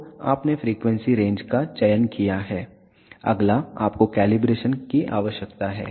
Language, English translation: Hindi, So, you have selected the frequency range, next you need to do the calibration